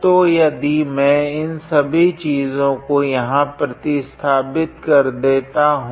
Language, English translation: Hindi, So, if I substitute all these things here